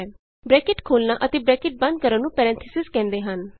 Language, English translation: Punjabi, The opening and the closing bracket is called as Parenthesis